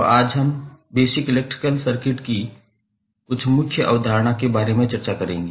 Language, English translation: Hindi, So, today we will discuss about some core concept of the basic electrical circuit